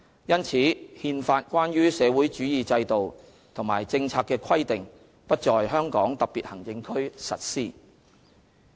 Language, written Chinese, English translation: Cantonese, 因此，《憲法》關於社會主義制度和政策的規定不在香港特別行政區實施。, Therefore the provisions on the socialist system and policies in the Constitution are not implemented in HKSAR